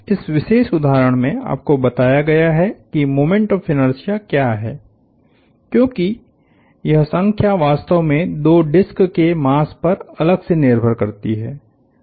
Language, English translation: Hindi, In his particular instance, you have told what the moment of inertia is, because this number really depends on the masses of the two discs separately